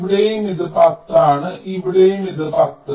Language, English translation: Malayalam, here also it is ten, here also it is ten